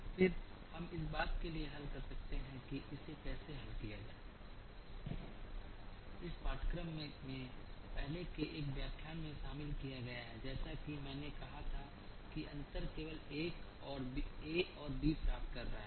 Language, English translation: Hindi, Then, we can solve for this the how to solve this has been covered in an earlier lecture in this course the only difference as i said is having obtained a and b